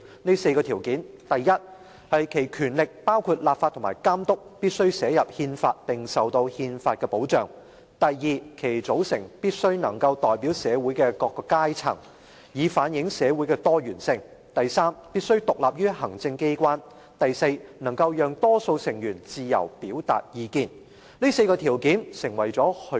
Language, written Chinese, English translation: Cantonese, 這4個條件是：第一、其權力必須寫入憲法並受到憲法所保障；第二、其組成必須能代表社會的各個階層，以反映社會的多元性；第三、必須獨立於行政機關；及第四，能讓多數成員自由表達意見。, These are the four requirements . First its powers should be enshrined in and guaranteed by the Constitution . Second a parliament should be constituted in such a way as to be representative of all sectors of society in its diversity